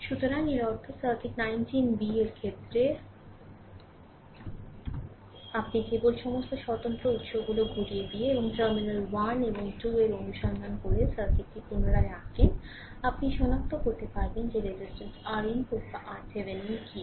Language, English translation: Bengali, So, that means, in this case in the circuit 19 b that you just redraw the circuit by turning up all the independent sources and from looking from terminal 1 and 2, you find out what is the resistance R input or R Thevenin right